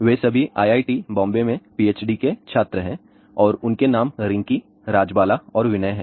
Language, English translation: Hindi, All 3 of them are PhD students at IIT, Bombay and their names are Rinkee, Rajbala and Vinay